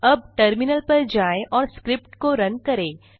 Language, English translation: Hindi, Now switch to your terminal and run the script